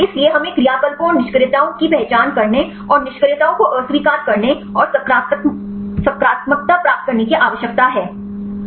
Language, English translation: Hindi, So, we need to identify the actives and inactives and reject inactives and get the positives